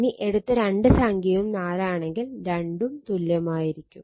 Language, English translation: Malayalam, If you take both are same 4 4 then both will be same right